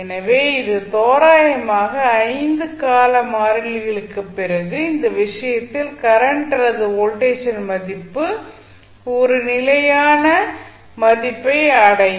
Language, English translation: Tamil, So, that is the approximation we take that after 5 time constants the value of current in this case or voltage in this case will settle down to a steady state value